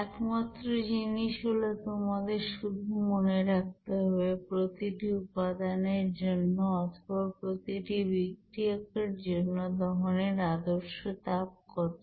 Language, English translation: Bengali, Only thing is that you have to know what should be the standard heat of combustion for individual components or individual constituents of that reaction there